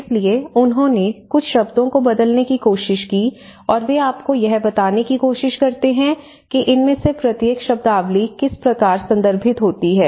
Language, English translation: Hindi, So, they try to alter a few words and they try to present you know, how each of these terminologies refers to what